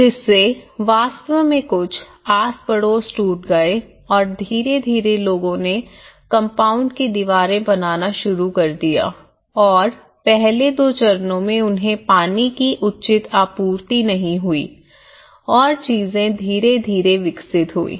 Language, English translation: Hindi, So that has actually broken certain neighbourhood you know linkages and gradually people started in making the compound walls and initially in the first two stages, two years they were not having proper water supply and gradually things have developed